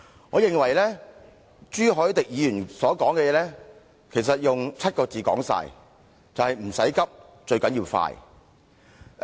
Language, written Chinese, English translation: Cantonese, 我認為朱凱廸議員所說的其實可以用7個字概括，就是"唔使急，最緊要快"。, I think the points made by Mr CHU Hoi - dick could be summed up as there is no need to rush but one must hurry up